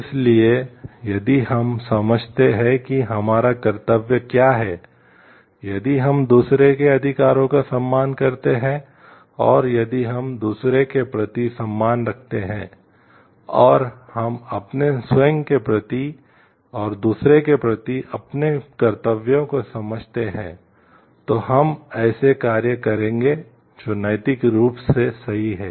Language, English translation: Hindi, So, if we understand like what is our duty if we respect the rights of others and if we have respect for others, we and we understand our set of duties towards ourself and towards others, then we will be doing actions which are ethically correct